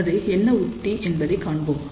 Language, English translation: Tamil, So, let us see what is that technique